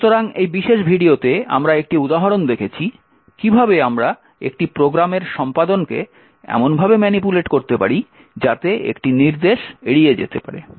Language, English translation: Bengali, So, in this particular video, we have seen one example of how we could manipulate execution of a program in such a way so that an instruction can be skipped